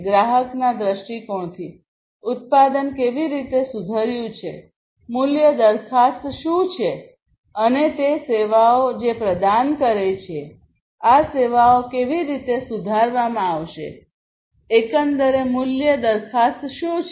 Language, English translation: Gujarati, From a customer viewpoint, how the product has improved, what is the value proposition and the services that the product offers; how these services are going to be improved, what is the overall value proposition